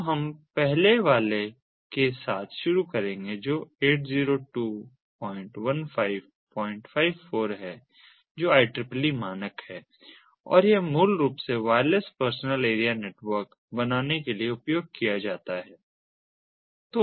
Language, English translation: Hindi, so we will start with the first one, which is the eight zero, two point fifteen, point four, which is an i triple e standard, and this basically is used for forming wireless personal area network